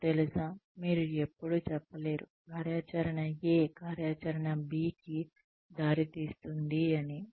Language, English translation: Telugu, You cannot always say that, you know, activity A would lead to activity B